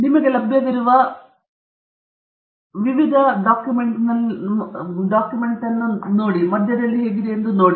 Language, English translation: Kannada, And you have different options available to you, how you can go about to the middle of the document